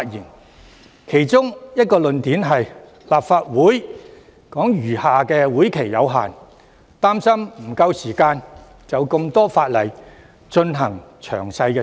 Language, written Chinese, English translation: Cantonese, 他們提出的其中一個論點是，立法會餘下的會期有限，擔心沒有足夠時間就多項法例進行詳細審議。, One of their arguments was the insufficient time for detailed deliberation of the subsidiary legislation given that the current term of the Legislative Council has not much time left